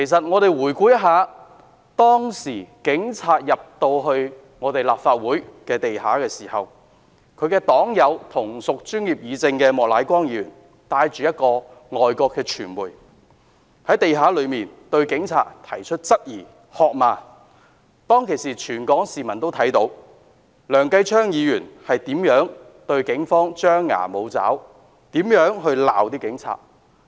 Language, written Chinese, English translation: Cantonese, 我們回顧事發當天警察進入立法會地下時，其同屬專業議政的黨友莫乃光議員帶同一名外國傳媒記者，在地下向警察提出各種質疑及喝罵他們，而全港市民均看到當時梁繼昌議員是如何在警方面前張牙舞爪，指罵警察。, We recall how Mr Charles Peter MOK who had brought along with him a foreign media reporter queried and scolded the police officers aloud when the Police entered the ground floor of the Legislative Council Complex on the day the incident took place . That day the whole of Hong Kong saw how Mr Kenneth LEUNG displayed an act of sabre - rattling in front of the Police to give them a dressing down then